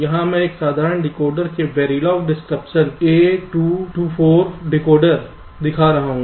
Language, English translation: Hindi, here i am showing very log descriptions of a simple decoder, a two to four decoder